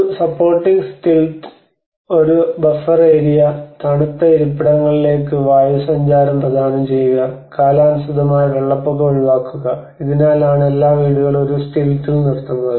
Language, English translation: Malayalam, And there is a supporting stilts, a buffer area, provide air circulation to cool living spaces and avoid seasonal flooding because that is one aspect all the houses are raised in a stilt